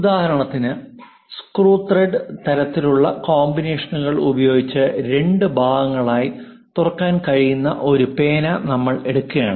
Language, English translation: Malayalam, For example, if you are taking a ah pen which can be opened into two part it always be having screw and thread kind of combinations